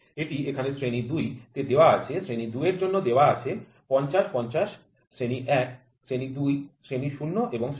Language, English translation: Bengali, So, it is given here grade 2 the 50 50 is given for grade 2 grade 1 grade 2 grade 0 and grade 2